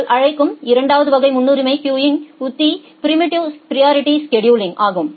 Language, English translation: Tamil, The second type of priority queuing strategy you call is the preemptive priority scheduling